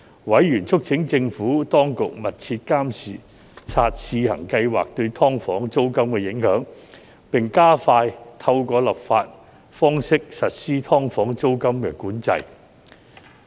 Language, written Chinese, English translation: Cantonese, 委員促請政府當局密切監察試行計劃對"劏房"租金的影響，並加快透過立法方式實施"劏房"租金管制。, Members urged the Administration to closely monitor the impact of the Trial Scheme on the rent of SDUs and expeditiously implement rent control of SDUs by legislation